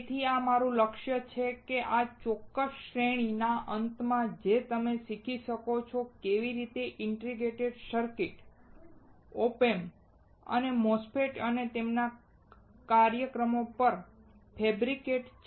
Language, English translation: Gujarati, So, this is my goal that at the end of this particular series that you are able to understand, how the integrated circuits, OP Amps as well as the MOSFETS are fabricated and also their applications